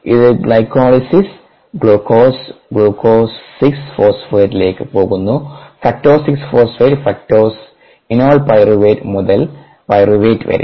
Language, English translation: Malayalam, this is a part of glycolysis: glucose, glucose going to glucose, six, phosphate to fructose, six, phosphate to fructose, six, phosphate to phosphate, pyruvateto pyruvate